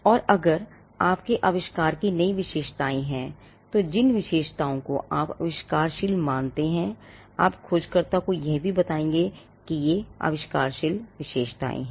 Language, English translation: Hindi, And if there are novel features of your invention, the features which you consider to be inventive, you would also tell the searcher that these are the inventive features